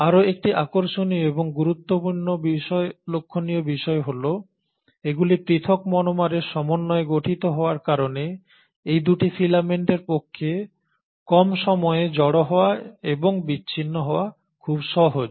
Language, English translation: Bengali, What is again interesting and important to note is that because they are made up of these individual monomers it is very easy for these 2 groups of filaments to assemble and disassemble at short notice